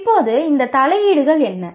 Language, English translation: Tamil, Now, what are these interventions